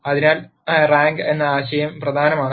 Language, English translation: Malayalam, So, the notion of rank is important